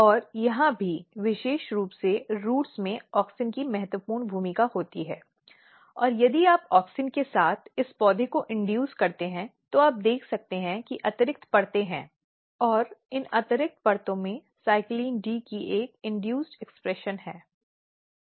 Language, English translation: Hindi, And here also particularly in roots auxin has a very very important role to play and what happens, if you induce this plants with auxin you can see there are extra layers and these extra layers have an induced expression of CYCLIN D